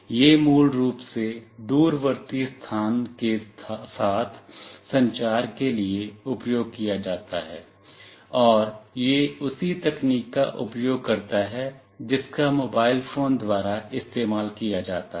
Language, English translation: Hindi, It is basically used for communication with the remote location, and it uses the same technology as used by the mobile phones